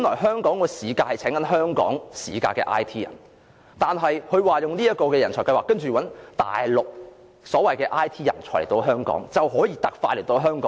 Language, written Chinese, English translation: Cantonese, 香港是聘請香港市價的 IT 人，但局長說透過科技人才入境計劃，內地的 IT 人才可以特快來到香港。, Hong Kong hires IT professionals at the market prices in Hong Kong . But the Secretary said that IT professionals on the Mainland can come to Hong Kong speedily through the Technology Talent Admission Scheme